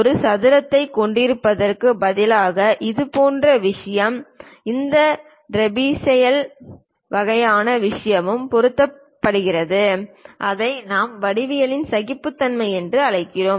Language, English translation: Tamil, Such kind of thing instead of having a square perhaps this trapezoidal kind of thing is also tolerated and that is what we call geometric tolerances